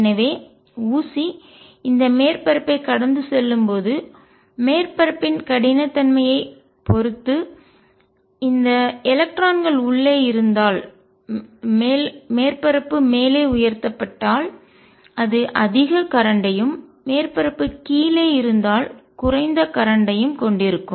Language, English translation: Tamil, So, if there this electrons inside depending on the roughness of the surface as the needle is passing over this surface, it will have more current if the surface is lifted up and less current if the surface is down